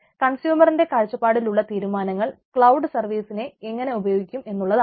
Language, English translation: Malayalam, that is also important from the consumer perspective, decision about how to use cloud services, right